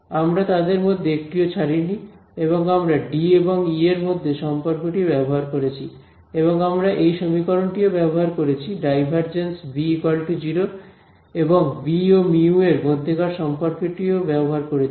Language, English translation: Bengali, We did not leave even one of them, we use the fact that divergence of D is 0 and the relation between D and E, we use the fact that del dot B is 0 and the relation between B and mu